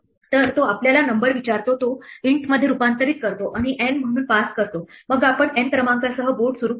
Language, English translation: Marathi, So, it asks for us number converts it to an int and passes it as N then we will initialize the board with the number N